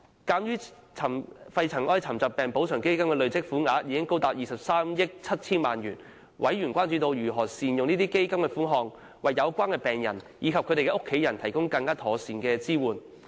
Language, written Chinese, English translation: Cantonese, 鑒於肺塵埃沉着病補償基金的累積款項高達23億 7,000 萬元，委員關注到，基金如何善用款項為有關病人和其家人提供更妥善的支援。, Noting that the accumulated fund under the Pneumoconiosis Compensation Fund the Fund amounts to 2.37 billion members have expressed concern over how the Fund can be put to good use to better support the patients and their families